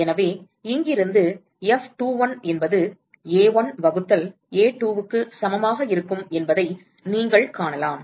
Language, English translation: Tamil, So, from here you can find that F21 will be equal to A1 by A2